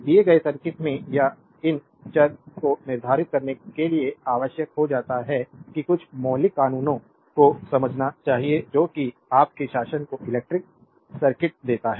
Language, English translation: Hindi, In a given circuit may be or to determine these variables requires that we must understand some fundamental laws that given your that govern electric circuit